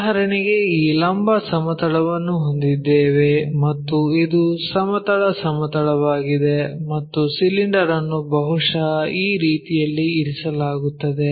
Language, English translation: Kannada, For example, here we have this vertical plane and this is the horizontal plane and our cylinder perhaps resting in that way